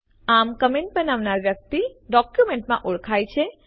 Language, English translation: Gujarati, Thus the person making the comment is identified in the document